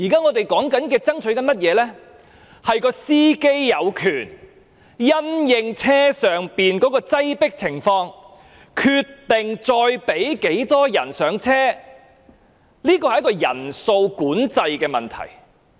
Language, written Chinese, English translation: Cantonese, 我們目前爭取的，是"司機"有權因應巴士的擠迫情況，決定再讓多少人上車，這是一個人數管制的問題。, At present we are striving for the right of the driver in deciding the number of people to board with regard to the crowdedness of the bus and this is a question about regulating the number of passengers